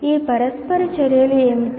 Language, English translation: Telugu, What are these interactions